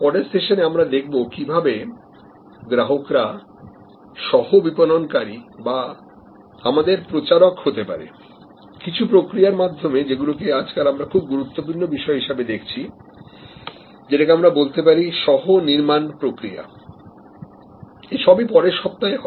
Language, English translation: Bengali, In the next session, we will see that how this customer as co marketer or customer as our advocate can happen through a process that we are now recognizing more and more as an very important process which is the process of co creation all that next week